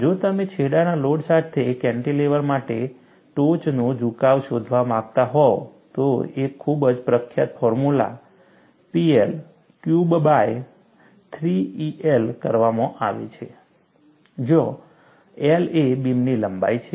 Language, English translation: Gujarati, If you want to find out the tip deflection, for a cantilever with the end load, a very famous formula is P L Q by 3 E a, where L is the length of the beam